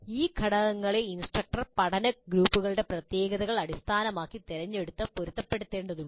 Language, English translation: Malayalam, Instructor needs to pick and match these components based on the characteristics of the learning groups